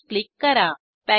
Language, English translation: Marathi, Click on Close